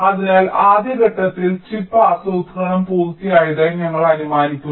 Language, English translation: Malayalam, so in the first step, ah, we assume that already chip planning is done